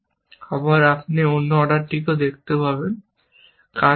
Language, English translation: Bengali, Again, you can see the other order also, does not do the task